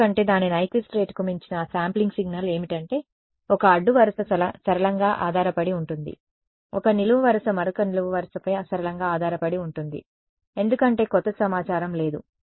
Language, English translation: Telugu, Because those yeah sampling signal beyond its Nyquist rate is what happens is that, one row will be linearly dependent one column will be linearly dependent on the other column because there is no new information